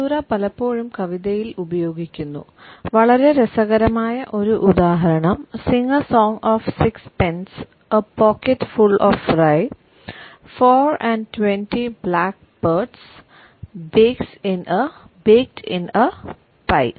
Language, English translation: Malayalam, Caesura is often used in poetry, a very interesting example is from a nursery rhyme “Sing a song of six pence/ A pocket full of rye/Four and twenty blackbirds/Baked in a pie